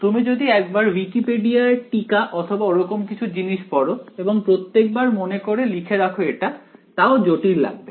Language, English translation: Bengali, Yeah, you just look up the Wikipedia article whatever and remember write it down each time, but I mean this still looks complicated